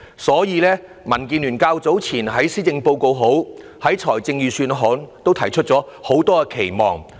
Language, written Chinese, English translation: Cantonese, 所以，民建聯較早前在施政報告及預算案諮詢時，提出很多期望。, The Democratic Alliance for the Betterment and Progress of Hong Kong thus put forward a long wish list earlier in the Policy Address and Budget consultation exercises